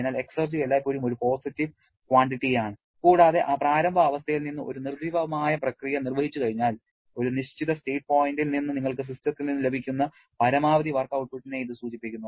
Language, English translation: Malayalam, So, exergy is always a positive quantity and it refers to the maximum possible work output that you can get from a system at a given state point once we execute a reversible process from that initial state to a dead state